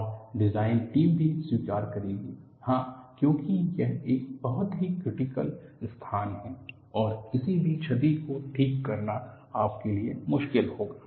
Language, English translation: Hindi, And the design team would also accept, yes, because it is a very critical location and any damage would be difficult for you to even repair